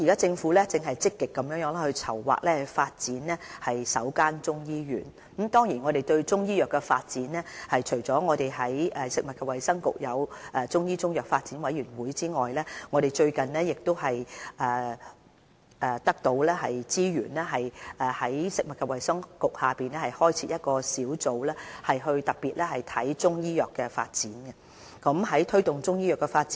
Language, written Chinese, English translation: Cantonese, 政府現正積極籌劃發展首間中醫醫院，我們在中醫藥發展方面，除了在食物及衞生局設有中醫中藥發展委員會外，我們最近獲撥給資源，在食物及衞生局轄下開設一個小組，專門負責中醫藥的發展事宜。, Actually the construction of the first Chinese medicine hospital is currently under active planning . In the development of Chinese medicine on top of the Chinese Medicine Development Committee set up under the Food and Health Bureau we are provided with additional funding for the establishment of a dedicated task group also under the Food and Health Bureau to take care of the development of Chinese medicine